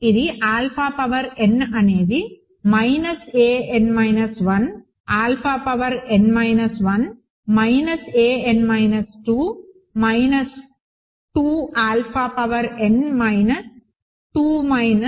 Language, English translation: Telugu, This implies alpha power n is equal to minus an minus 1 alpha power n minus 1 minus an minus 2 minus 2 alpha power n minus 2 minus dot dot dot minus a 1 alpha minus a 0